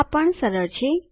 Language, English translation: Gujarati, This is easy too